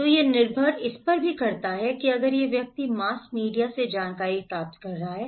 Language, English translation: Hindi, So, it depends that if this person is getting informations from the mass media